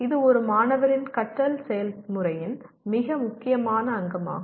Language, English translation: Tamil, That is a very important component of a student’s learning process